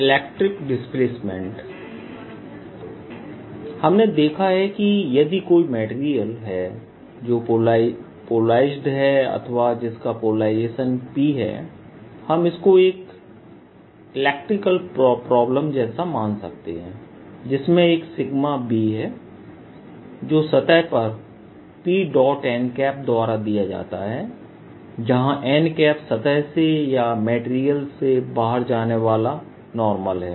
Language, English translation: Hindi, we've seen that if there is a material that is polarized or carries polarization p, we can think of this as if for electrical problems there is a sigma which is p, dot n over the surface